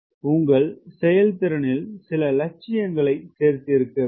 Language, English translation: Tamil, so you have to add some ambition into your performance